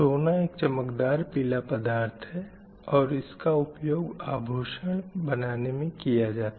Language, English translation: Hindi, , gold you know, gold is like a shiny yellow metal and which we use it for making ornaments and jewellery